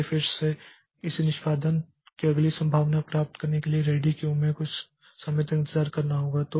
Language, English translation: Hindi, So, again it has to wait for some time in the ready queue to get the next chance of execution